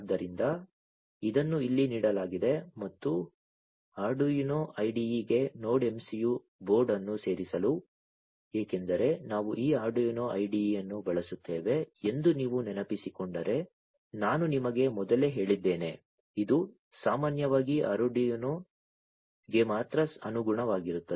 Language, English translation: Kannada, So, this is given here and to add the Node MCU board to the Arduino IDE, because I told you earlier at the outset if you recall that we would be using this Arduino IDE, which typically is compliant with only Arduino